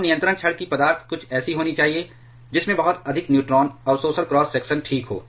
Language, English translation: Hindi, Now, the material of the control rod should be something that has very high neutron absorption cross section ok